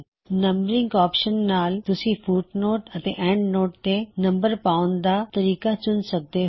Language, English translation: Punjabi, Numbering allows you to select the type of numbering that you want to use for footnotes and endnotes